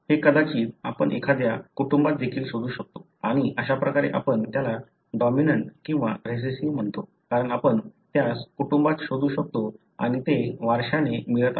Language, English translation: Marathi, So, this perhaps you can even trace it in a family and that is how you call it as dominant or recessive, because you can trace it in the family and that is being inherited